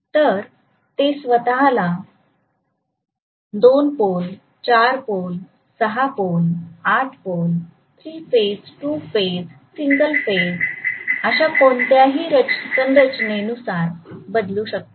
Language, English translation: Marathi, So they can adjust themselves very nicely to 2 pole, 4 pole, 6 pole, 8 pole, 3 phase, 2 phase, single phase any configuration